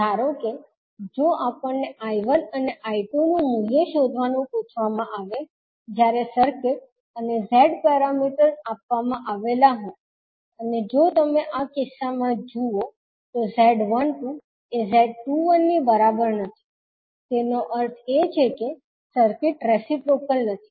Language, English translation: Gujarati, Suppose, if we are asked to find out the value of I1 and I2, the circuit, the Z parameters are given Z11, Z12, Z21, Z22, if you see in this case Z12 is not equal to Z21, so that means the circuit is not reciprocal